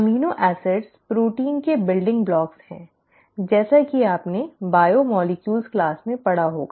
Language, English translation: Hindi, The amino acids are the building blocks of the proteins, as you would have read in your biomolecules class